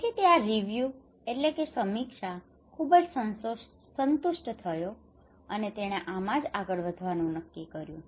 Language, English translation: Gujarati, So he was very satisfied with this review and he decided to go forward